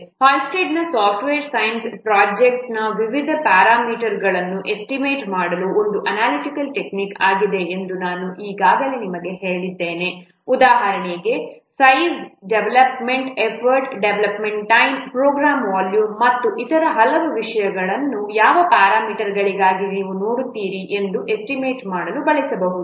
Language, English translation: Kannada, I have already told you that Hullstreet software science is an analytical technique for what to estimate different parameters of a project so that the size, the development effort, development time, the program volume and so many other things you will see for what parameters it can be used to estimate